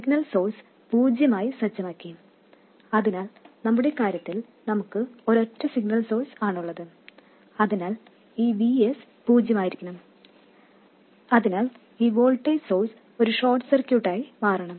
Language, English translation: Malayalam, So, in our case we have just a single signal source, so this VS must be 0, so this voltage source will become a short circuit